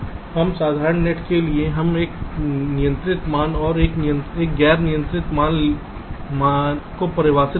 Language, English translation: Hindi, for every simple gate, we define something called a controlling value and a non controlling value